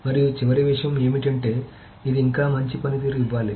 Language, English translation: Telugu, And the last thing of course is that it has to still give it a good performance